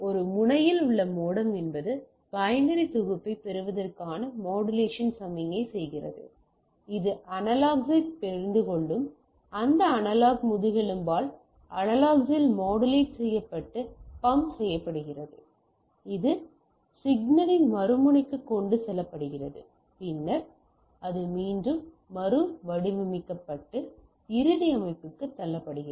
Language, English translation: Tamil, So, the modem at the source end or one end is does that modulation signal getting a binary set, it modulate and pumped into the analog by this analog backbone which understand the analog, that is carried to the other end of the signal and then it is again demodulated and push it to the end system